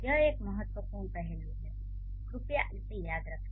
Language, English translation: Hindi, This is an important aspect, please remember it